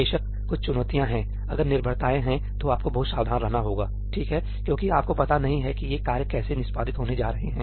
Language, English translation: Hindi, Of course, there are some challenges that if there are dependencies, then you have to be very very careful, right, because you have no idea how these tasks are going to get executed